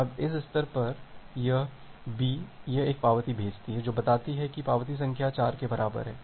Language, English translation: Hindi, Now at this stage, this B, it sends an acknowledgement saying that acknowledgement number equal to 4